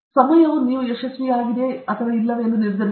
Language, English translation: Kannada, Time will decide whether you are successful or not